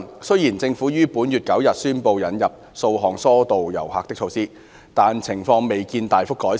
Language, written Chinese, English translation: Cantonese, 雖然政府於本月9日宣布引入數項疏導遊客的措施，但情況未見大幅改善。, Despite the introduction of a number of tourist diversion measures as announced by the Government on the 9 of this month the situation has not been significantly improved